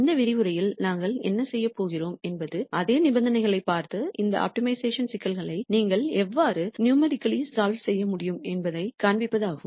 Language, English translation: Tamil, What we are going to do in this lecture is to look at the same conditions and show how you can numerically solve these optimization problems